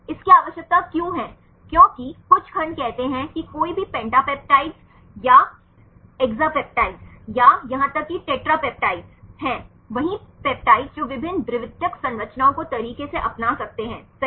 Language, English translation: Hindi, Why it is required because there are some segments say any pentapeptides or exapeptides or even tetra peptides, the same peptides they can adopt different secondary structures right